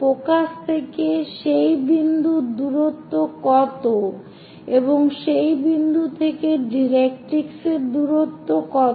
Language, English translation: Bengali, What is the distance from focus to that point, and what is the distance from that point to directrix